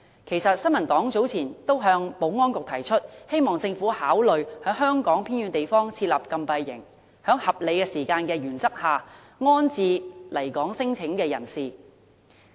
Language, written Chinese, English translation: Cantonese, 其實，新民黨早前已向保安局提出，希望政府考慮在香港偏遠地方設立禁閉營，在合理時間內安置來港聲請的人士。, Actually the New Peoples Party has earlier advised the Security Bureau to consider setting up a closed camp in the remote area of the territory to accommodate incoming claimants under a reasonable time frame